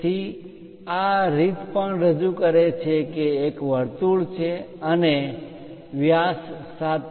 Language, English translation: Gujarati, So, this way also represents that there is a circle and the diameter is 7